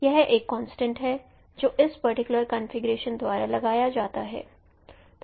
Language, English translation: Hindi, So this is a constraint that is imposed by this particular configuration